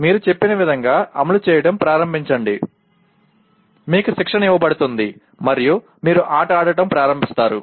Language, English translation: Telugu, You start executing the way you are told, you are trained and then you start playing a game